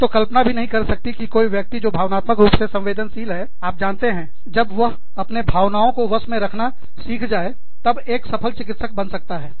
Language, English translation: Hindi, I cannot imagine, anyone, who is emotionally sensitive, becoming, you know, unless, they learn, how to manage their emotions, becoming a successful doctor